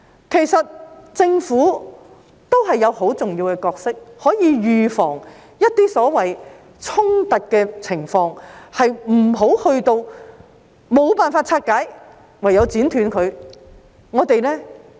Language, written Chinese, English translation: Cantonese, 其實，政府也有很重要的角色，可以預防一些所謂衝突的情況，不用等到無法拆解時便唯有剪斷它。, In fact the Government also has a very important role to play in preventing some so - called conflicts . It does not have to wait until they cannot be disentangled and then cut them as the last resort